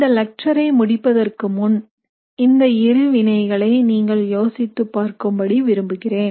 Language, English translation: Tamil, So now before we end this lecture, I want you to think about these two reactions